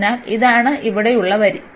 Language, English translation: Malayalam, So, this is the line here